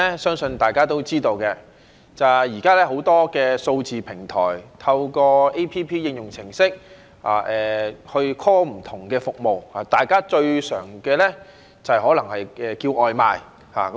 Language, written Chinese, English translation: Cantonese, 相信大家都知道，現時很多數字平台，透過 App 應用程式去 call 不同的服務，大家最常用的可能是叫外賣。, I believe Members all know that these days people will seek various services from digital platforms through their mobile applications . Perhaps the most commonly used service is takeaway delivery